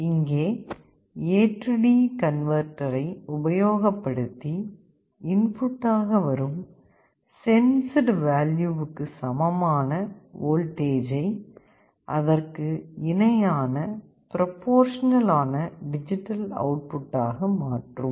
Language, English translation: Tamil, And here you have the A/D converter which will be converting the voltage that is equivalent to the sensed value into a proportional digital output